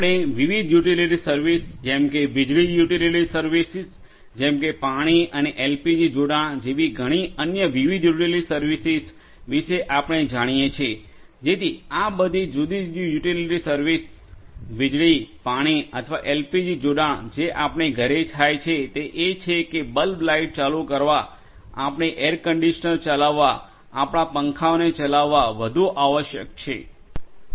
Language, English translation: Gujarati, So, for all these different utility services electricity, water or LPG connections at home what happens is that we need you know we have the necessity to light our bulbs at home, to run our air conditioners, to run our fans and so on